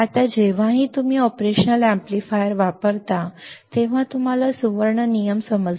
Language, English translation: Marathi, Now, whenever you use operational amplifier, whenever you use operational amplifier, you had to understand golden rules